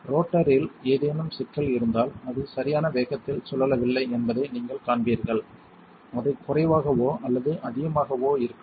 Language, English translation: Tamil, If there is a problem with the rotor you will see that it is not going to spin the right speed it might be lower or above